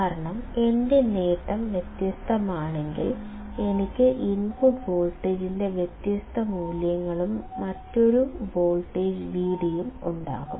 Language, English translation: Malayalam, Because, if my gain is different, then I will have different values of input voltage and a different voltage V d